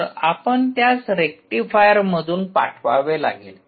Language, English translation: Marathi, so you have to pass it through a rectifier